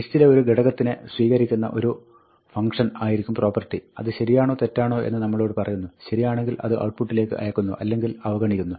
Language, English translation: Malayalam, The property will be a function which takes an element in the list, and tells us true or false; if it is true, it gets copied to the output; if it is false, it gets discarded